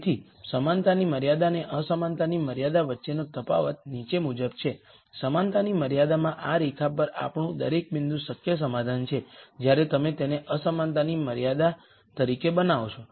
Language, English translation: Gujarati, So, the di erence between the equality constraint and the inequality con straint is the following, in the equality constraint we had every point on this line being a feasible solution when you make this as a inequality constraint